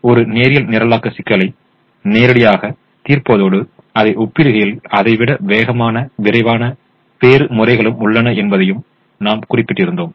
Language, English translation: Tamil, but we also mention that there are methods which are faster and quicker compared to solving it as a linear programming problem directly